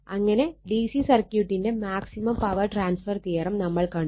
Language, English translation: Malayalam, So, this is the maximum power transfer theorem for A C circuit